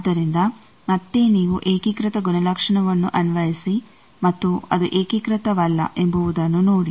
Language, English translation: Kannada, So, you again apply unitary property and see it is not unitary